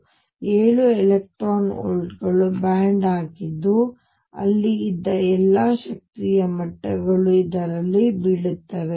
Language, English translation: Kannada, So, this is a band of seven electron volts which is formed all the energy levels that were there are going to fall in this